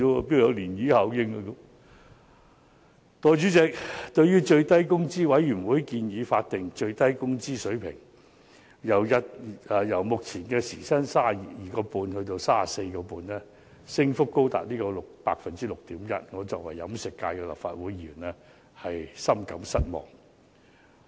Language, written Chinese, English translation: Cantonese, 代理主席，對於最低工資委員會建議將法定最低工資水平由目前時薪 32.5 元增至 34.5 元，我作為飲食界的立法會議員深感失望。, Deputy President as a Legislative Council Member representing the catering industry I am deeply disappointed with the recommendation made by the Minimum Wage Commission to increase the prevailing hourly wage rate by up to 6.1 % from 32.5 to 34.5